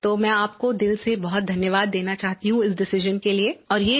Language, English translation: Hindi, I want to thank you from the core of my heart for this decision